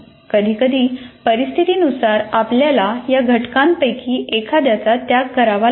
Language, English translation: Marathi, So sometimes depending on the situation, you may have to sacrifice one of these elements